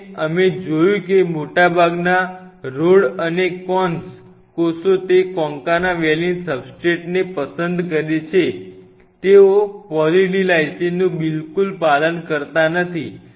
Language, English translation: Gujarati, And we observed that most of the rods and cones cells prefer that concana valine substrate, they do not at all adhere on Poly D Lysine absolutely 0 adherence to Poly D Lysine substrate